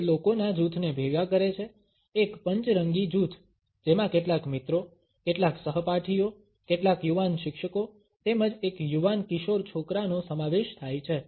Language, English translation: Gujarati, He gather together a group of people, a motley group which consisted of some friends, some classmates, some young teachers, as well as a young teenager boy